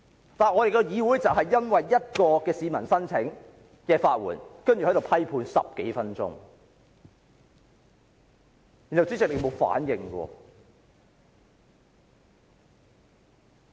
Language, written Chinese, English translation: Cantonese, 然而，我們的議會卻因一名市民申請法援，便在此批判他10多分鐘，而主席卻毫無反應。, Nevertheless our Council criticized a citizen for more than 10 minutes just because he applied for legal aid but the President showed no response at all